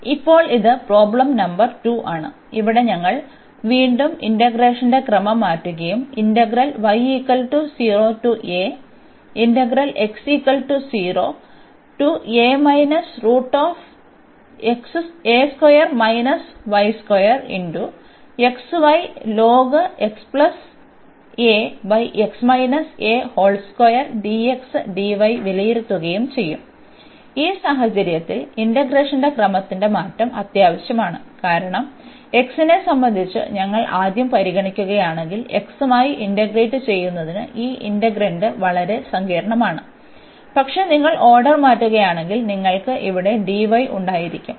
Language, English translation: Malayalam, Now, this is problem number 2, where we will again change the order of integration and evaluate and indeed in this case change of order of integration is necessary because if we just considered first with respect to x, this integrand is pretty complicated for integrating with respect to x, but if you change the order